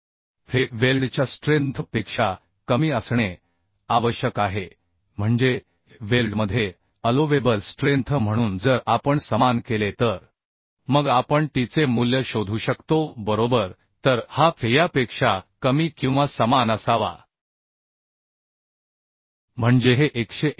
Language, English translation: Marathi, 75 by t Now this fe has to be less than the weld strength means allowable strength in weld so if we make equal then we can find out the value of t right So this fe should be less than or equal to fu by root 3 gamma mw that means this is 189